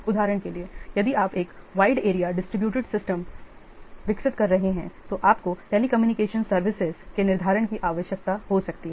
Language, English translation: Hindi, For example, if you are developing a wide area distributed system, you may require scheduling of the telecommunication services